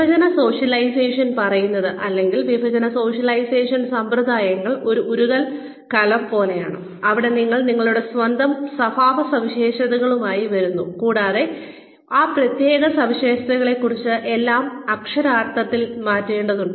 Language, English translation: Malayalam, Divestiture socialization says, or divestiture socialization practices are more like a melting pot, where you come in with your own characteristics, and literally have to change everything about those special characteristics